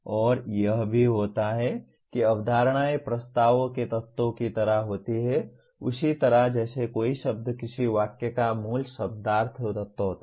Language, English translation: Hindi, And also what happens is concepts are like elements of propositions much the same way a word is a basic semantic element of a sentence